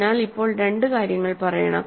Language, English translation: Malayalam, Since, ok, so two things to say now